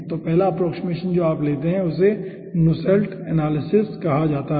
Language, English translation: Hindi, so first approximation, what you take is called aah nusselts analysis